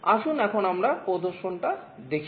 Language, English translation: Bengali, Let us now see the demonstration